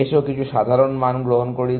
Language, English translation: Bengali, Let us take some simple values